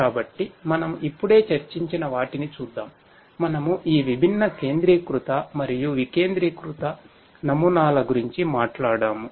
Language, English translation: Telugu, So, let us look at what we have just discussed so, we talked about we talked about this different centralized and decentralized models